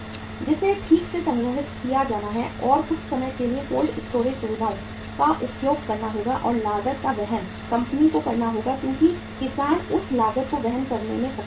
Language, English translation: Hindi, That have to be properly stored and sometime the cold storage facilities we will have to use and the cost has to be borne by the company because farmer is not able to bear that cost